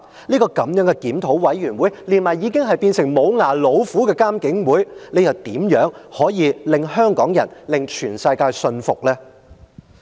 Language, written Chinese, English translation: Cantonese, 這個檢討委員會，加上已是"無牙老虎"的監警會，試問如何令香港人以至全世界信服呢？, How can this review committee and the toothless tiger―the Independent Police Complaints Council convince Hong Kong people and the rest of the world?